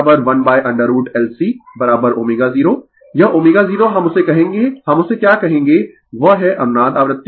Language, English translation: Hindi, This omega 0 we will call that your what we will call that is the resonance frequency omega 0 right